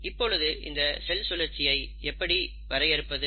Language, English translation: Tamil, Now, how will you define cell cycle